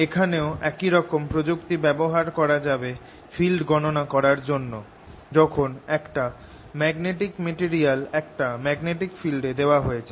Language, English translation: Bengali, similar techniques can be used here to calculate the field inside when a magnetic material is put in a field